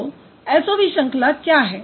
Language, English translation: Hindi, So, what is SOV pattern